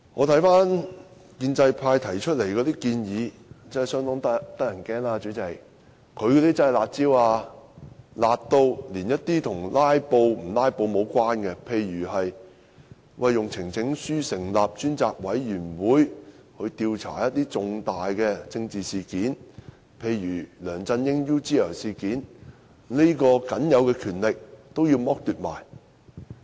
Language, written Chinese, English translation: Cantonese, 代理主席，建制派提出的建議真是相當令人害怕，真的是"辣招"，"辣"到連一些與"拉布"無關，例如以提交呈請書的方式，成立專責委員會調查一些重大政治事件，例如梁振英 "UGL 事件"，這項僅有的權力也要剝奪。, Deputy Chairman the proposals of the pro - establishment camp are truly scary in the sense that they are really harsh measures so harsh that Members are deprived of some other powers unrelated to filibustering such as the power to form a select committee through presentation of a petition to investigate major political incidents such as the UGL incident pertaining to LEUNG Chun - ying